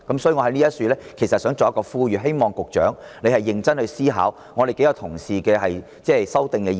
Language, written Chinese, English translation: Cantonese, 因此，我想在此呼籲，希望局長認真思考我們多位同事提出的修訂議案。, For this reason I wish to make an appeal here . I hope the Secretary can seriously consider the amending motions proposed by a number of Honourable colleagues